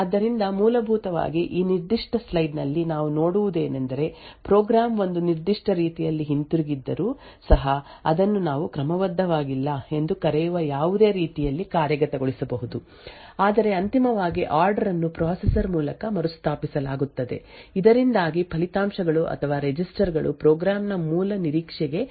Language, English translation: Kannada, So essentially what we see in this particular slide is that even though a program is return in a particular manner it would could be executed in any manner which we known as out of order, but eventually the order is restored by the processor so that the results or the registers return back would match the original expectation for the program